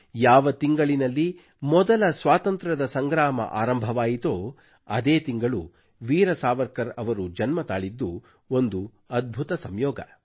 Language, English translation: Kannada, It is also an amazing coincidence that the month which witnessed the First Struggle for Independence was the month in which Veer Savarkar ji was born